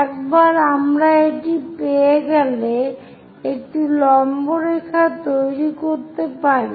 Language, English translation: Bengali, Once we have that, we can construct a perpendicular line